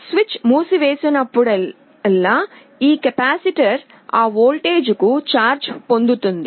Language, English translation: Telugu, Whenever the switch is closed this capacitor will get charge to that voltage